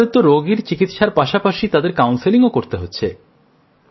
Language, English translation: Bengali, You must also be counselling the patient along with his treatment